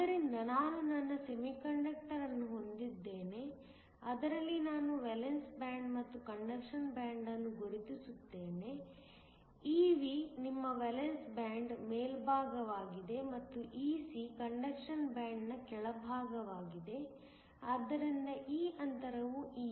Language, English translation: Kannada, So, I have my semiconductor in which I mark a Valence band and a Conduction band, Ev is your top of the valence band and Ec is the bottom of the conduction band so that, this gap is Eg